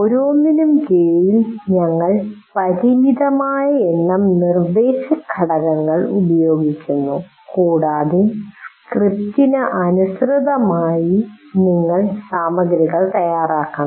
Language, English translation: Malayalam, Under each one we are using some limited number of instructional components and you have to prepare material according to that